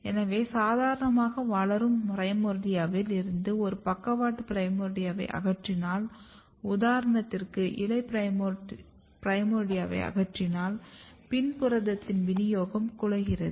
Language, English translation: Tamil, Whereas, if when this is a normal growing primordia, but if you remove one lateral primordia which could be leaf primordia if you just remove it what is happening that distribution or localization of PIN protein is totally disturbed here